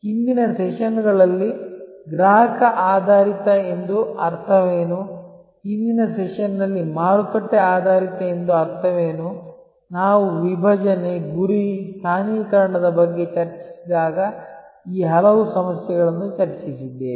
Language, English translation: Kannada, We have discussed many of these issues that what does it mean to be customer oriented in the earlier sessions, what does it mean to be market oriented in the earlier session about when we discussed about segmentation, targeting, positioning